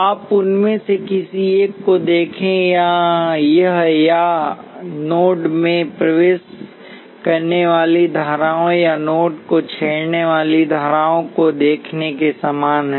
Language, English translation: Hindi, You look at any one of them this is analogous to either looking at currents entering the node or currents leaving the node